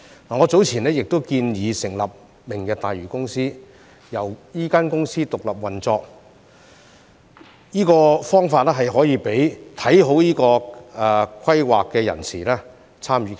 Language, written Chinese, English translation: Cantonese, 我早前亦建議成立明日大嶼公司，讓這公司獨立運作，這方法可以讓看好這個規劃的人士參與其中。, Some time ago I suggested setting up a Lantau Tomorrow Company and allowing it to operate independently . This way people who have a positive outlook on this project can take part in it